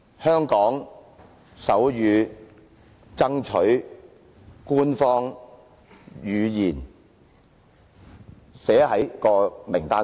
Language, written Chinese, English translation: Cantonese, 香港手語爭取官方語言，以加入名單上。, Striving to make sign language an official language and include it in the list